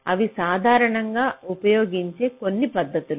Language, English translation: Telugu, these are some of the very commonly used techniques